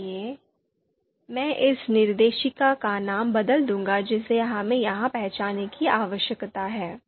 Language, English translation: Hindi, So, I will change this and name of the directory we need to identify here so you can see and we will go back